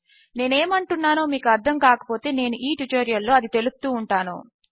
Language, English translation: Telugu, If you dont know what i mean Ill be going through it in this tutorial